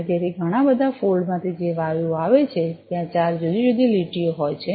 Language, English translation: Gujarati, And so the gases that are coming from the many fold there are four different lines